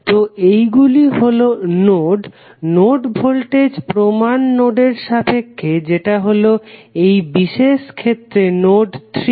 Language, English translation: Bengali, So, these would be the nodes, node voltages with respect to the reference node that is node 3 in our particular case